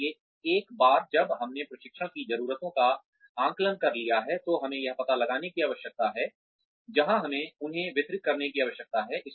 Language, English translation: Hindi, So, once we have assessed the training needs, then we need to find out, where we need to deliver them